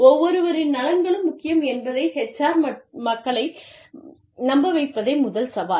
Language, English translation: Tamil, The first challenge is, convincing the HR people, that everybody's interests are, equally important